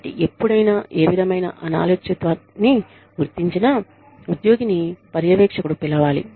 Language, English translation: Telugu, So, anytime, any kind of indiscipline is detected, the employee should be called by the supervisor